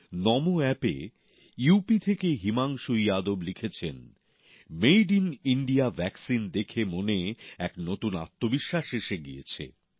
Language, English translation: Bengali, On NamoApp, Bhai Himanshu Yadav from UP has written that the Made in India vaccine has generated a new self confidence within